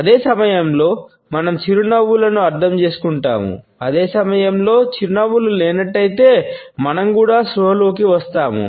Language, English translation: Telugu, At the same time, we interpret the smiles, and at the same time we also become conscious if the smiles are absent